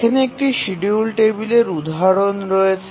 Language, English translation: Bengali, So, here is an example of a schedule table